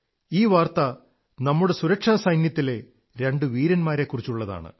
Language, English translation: Malayalam, This is the news of two brave hearts of our security forces